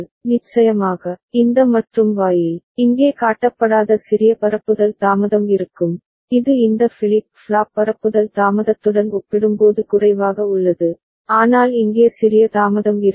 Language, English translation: Tamil, And of course, this AND gate, there will be small propagation delay which has not been shown here which is less compared to this flip flop propagation delay so, but there will be small delay over here ok